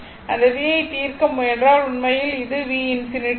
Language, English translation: Tamil, So, if you solve this v actually this is v infinity